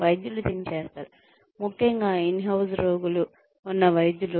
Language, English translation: Telugu, Doctors do this, especially the doctors who have patients in house